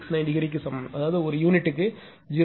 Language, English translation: Tamil, 69 degree that is 0